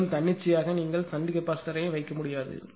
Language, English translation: Tamil, And there just arbitrarily you cannot put shunt capacitor